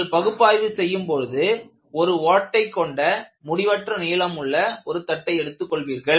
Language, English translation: Tamil, So, when you are doing an analytical approach, you take an infinite plate with a small hole